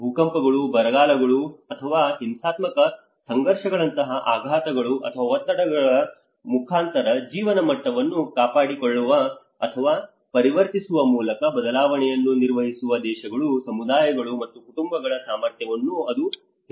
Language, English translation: Kannada, It says the ability of countries, communities, and households to manage change, by maintaining or transforming living standards in the face of shocks or stresses such as earthquakes, droughts or violent conflict without compromising their long term prospects